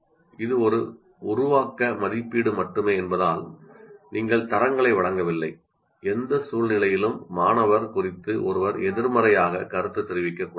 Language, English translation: Tamil, Under no circumstance, because it's only formative assessment, you are not giving grades, under no circumstance, one should negatively comment on the student